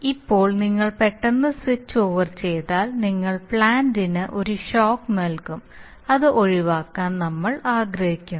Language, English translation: Malayalam, So now if you, if you suddenly flick the switch over you are likely to give the plant a shock and we want to avoid that